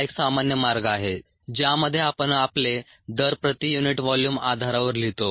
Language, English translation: Marathi, ok, this is the normal way in which we write our rates on a per unit volume bases